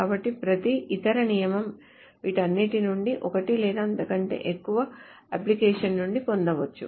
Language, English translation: Telugu, So every other rule can be derived from all of this from one or more applications of each one or more of this